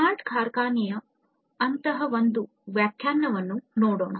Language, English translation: Kannada, So, let us look at one such definition of smart factory